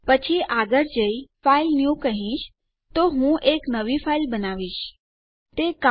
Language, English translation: Gujarati, Then Ill go ahead and say filenew, so Im creating a new file